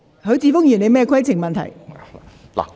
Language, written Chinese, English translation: Cantonese, 許智峯議員，你有甚麼規程問題？, Mr HUI Chi - fung what is your point of order?